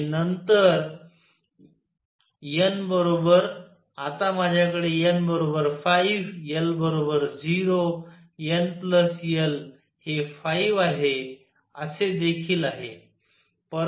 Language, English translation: Marathi, And then n equals, now I have also n equals 5 l equals 0 n plus l is 5